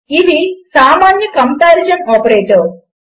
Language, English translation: Telugu, This is the first comparison operator